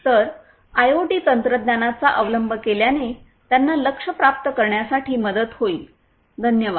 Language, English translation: Marathi, So, adoption of IoT technologies will help them in order to achieve the goals, thank you